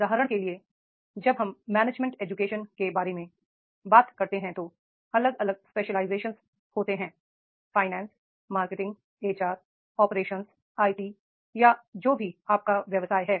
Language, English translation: Hindi, For example, when we talk about the management education, in management education, the different specialization, finance, marketing, HR, operations, IT, and therefore whatever the occupation you adopt